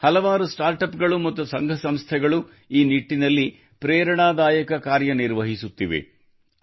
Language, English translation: Kannada, There are also many startups and organizations in the country which are doing inspirational work in this direction